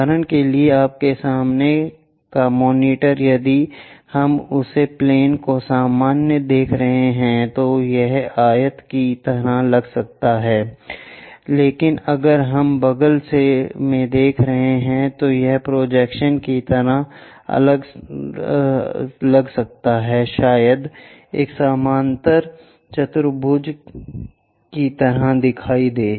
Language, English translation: Hindi, For example, the monitor in front of you, if we are looking normal to that plane it may look like a rectangle, but if we are looking from sideways it might look like the projection, might look like a parallelogram